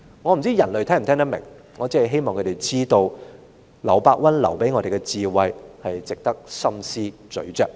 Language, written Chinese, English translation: Cantonese, 我不知道人類是否聽得明白，我只是希望他們知道，劉伯溫留給我們的智慧值得深思細嚼。, I am not sure if the humans are able to understand it . I only wish they would know that the wisdom passed down by LIU Bowen deserves our careful thoughts